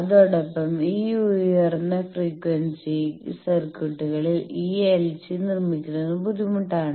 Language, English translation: Malayalam, Also in this high frequency circuits fabricating this LC they are also difficult